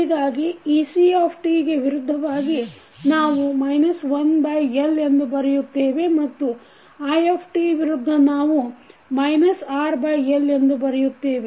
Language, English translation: Kannada, So, ec against ec we write minus 1 by L and against i t we write minus R by L